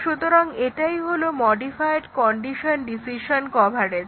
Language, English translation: Bengali, So, that is modified condition decision coverage